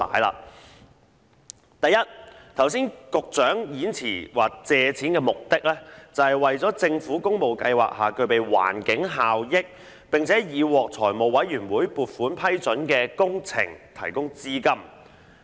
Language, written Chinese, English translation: Cantonese, 首先，剛才局長的演辭說借款的目的是"為政府工務計劃下具備環境效益、並已獲財務委員會撥款批准的工程提供資金"。, First of all the Secretary stated in his speech just now that the sums borrowed seek to finance projects with environmental benefits under the Public Works Programme of the Government approved by the Finance Committee